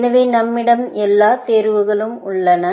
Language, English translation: Tamil, So, we have those all choices here, as well